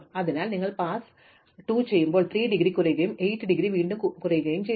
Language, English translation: Malayalam, So, when you do task 2 then the indegree of 3 reduces and the indegree of 8 again reduces